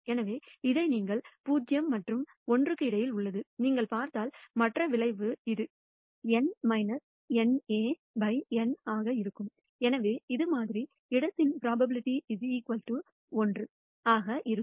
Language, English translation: Tamil, So, this you can see is bounded between 0 and 1, and if you look at the other outcome it will be N minus N A by N and therefore, it will add up the probability of the sample space will be equal to 1